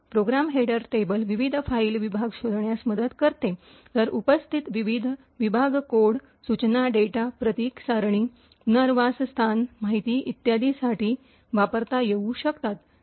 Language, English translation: Marathi, The Program header table helps to locate the various file segments, while the various segments present could be used for code, instructions, data, symbol table, relocation information and so on